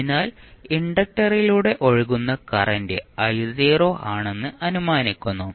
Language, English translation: Malayalam, So, this would be the current which would be flowing through the inductor